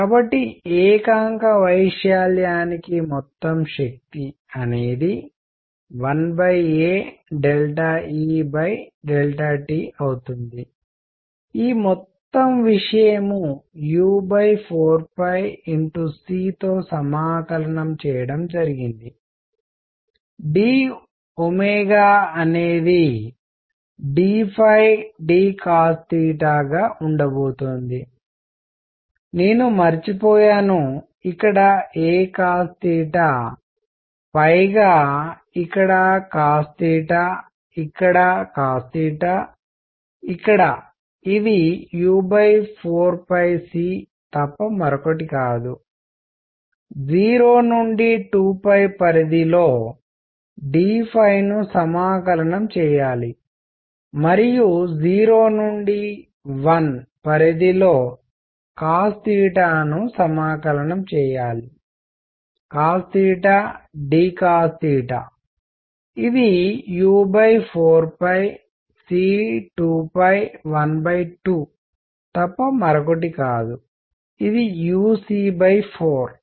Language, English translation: Telugu, So, total power per unit area is going to be 1 over a delta E delta T integrated over this whole thing u c over 4 pi; d omega is going to be d phi d cosine of theta; I had forgotten a cosine theta over here cosine theta here cosine theta here which is nothing but u c over 4 pi d phi integrates on 0 to 2 pi and cosine theta integrates from 0 to 1 cos theta d cos theta; which is nothing but u c over 4 pi times 2 pi times 1 by 2 which is u c by 4